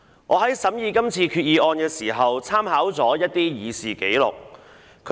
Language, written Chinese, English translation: Cantonese, 我在審議今次決議案時，參考了一些議事紀錄。, When examining this Resolution I have drawn reference from some Official Records of Proceedings